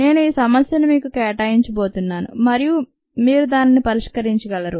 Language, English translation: Telugu, i am going to assign this problem to you and you can solve it